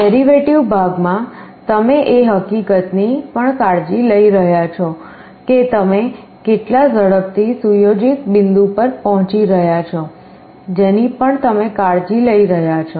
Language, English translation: Gujarati, In the derivative part you are also taking care of the fact that how fast you are approaching the set point that also you are taking care of